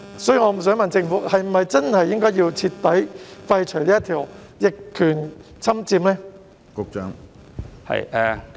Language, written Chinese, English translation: Cantonese, 所以，我想問政府是否應該徹底廢除逆權管有條文呢？, So may I ask the Government whether the provision on adverse possession should be completely repealed?